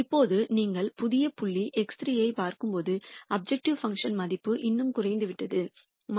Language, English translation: Tamil, Now, when you look at the new point X 3 the objective function value has decreased even more it has become minus 2